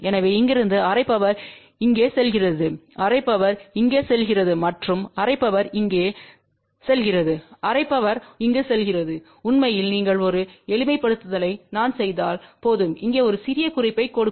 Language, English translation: Tamil, So, from here then half power goes here half power goes here and half power goes over here half power goes over here and in fact if you just do little bit of a simplification I will just give you a little hint here